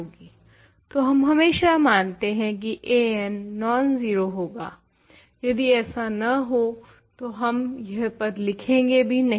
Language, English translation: Hindi, So, if a n is nonzero we always assume that otherwise we will not even write that term